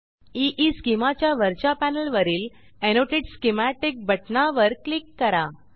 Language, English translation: Marathi, On top panel of EESchema, Click on Annotate schematic button